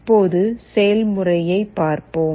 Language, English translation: Tamil, Let us now see the demonstration